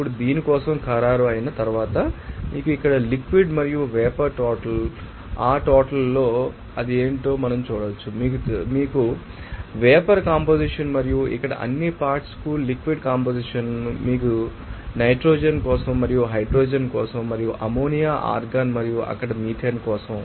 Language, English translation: Telugu, Now, once it is finalized for this you know that liquid and vapor amount here, you can see that this at this amount, we can see what should be that, you know, vapor composition and you know that liquid composition for all components here for nitrogen and for hydrogen and for ammonia argon and also methane there